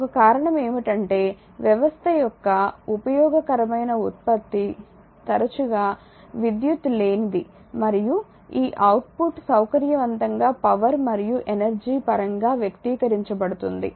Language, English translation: Telugu, One reason is that useful output of the system often is non electrical and this output is conveniently expressed in terms of power and energy